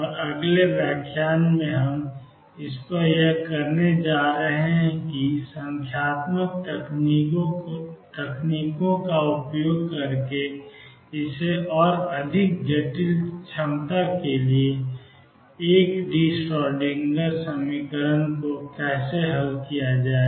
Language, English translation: Hindi, And in the next lecture now we are going to do how to solve the one d Schrodinger equation for more complicated potentials using numerical techniques